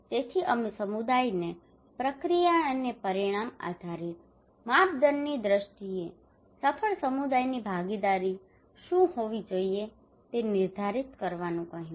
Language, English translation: Gujarati, So we asked the community to define what a successful community participation should have in terms of process and outcome based criteria